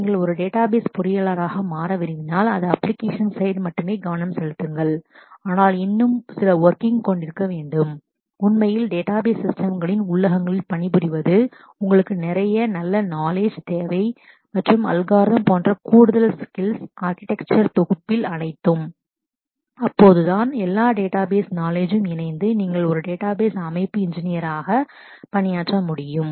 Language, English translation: Tamil, If you want to become a database engineer, that is not focus only on the application side, but also have some more understanding in terms of actually doing working in the internals of the database systems, then you need whole lot of additional skills like good knowledge and algorithms, in architecture, in compiler all of that; only then and coupled with coupled with all the database knowledge, then you will be able to work as a database system engineer